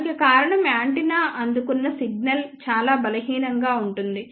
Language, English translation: Telugu, The reason for that is the signal which is received by the antenna, maybe very very weak